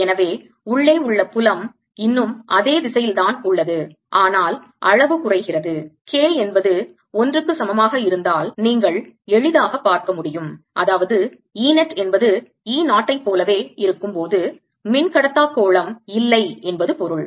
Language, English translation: Tamil, so field inside is a, still in the same direction, but reduces in the amount you can easily see if k equals one, that means there is no dielectric sphere when e net is same as the e zero, as must be the case